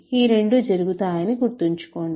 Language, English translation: Telugu, Remember these both happen